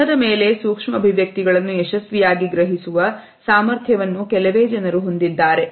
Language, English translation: Kannada, Very few people have the capability to successfully comprehend micro expressions on a face